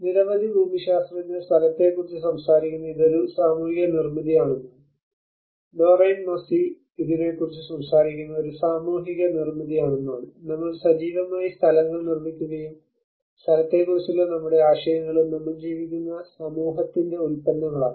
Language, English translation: Malayalam, So many geographers talk about place is a social construct, Doreen Massey talks about it is a social construct, and we actively make places and our ideas of place are products of the society in which we live